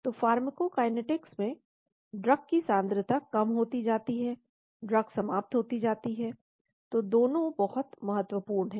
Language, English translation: Hindi, So in pharmacokinetics drug concentration reduces, drug gets eliminated, so both are very, very important